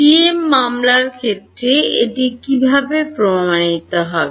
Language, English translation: Bengali, For the TM case how will be prove it